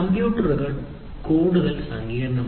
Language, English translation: Malayalam, 0, computers have become more sophisticated